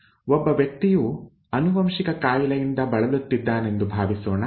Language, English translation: Kannada, Suppose a person is affected with a genetic disease